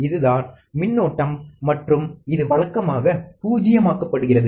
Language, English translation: Tamil, This is the current and is usually nulled